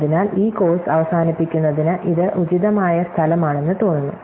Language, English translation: Malayalam, So, with this it seems on appropriate place to end this course